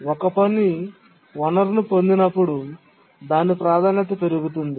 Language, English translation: Telugu, When a task is granted a resource, its priority actually does not change